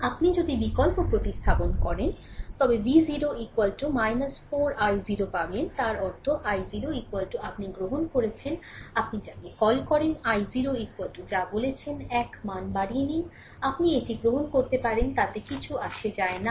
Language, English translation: Bengali, If you substitute you will get V 0 is equal to minus 4 i 0 right so; that means, i 0 is equal to you have taken, your what you call i 0 is equal to say 1 ampere any value, you can take it does not matter right